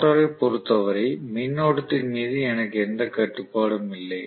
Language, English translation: Tamil, So I do not have any control over the current as far as the rotor is concerned